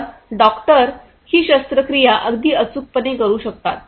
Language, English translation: Marathi, So, the doctors can perform this surgery very precisely accurately